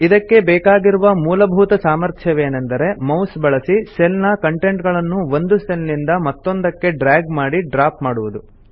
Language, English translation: Kannada, The most basic ability is to drag and drop the contents of one cell to another with a mouse